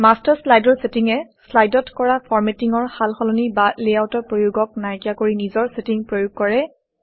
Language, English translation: Assamese, The settings in the Master slide overrides any formatting changes or layouts applied to slides